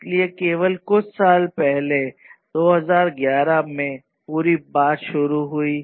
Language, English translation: Hindi, So, only a few years back, back in 2011